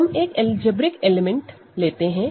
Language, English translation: Hindi, Let us take an algebraic element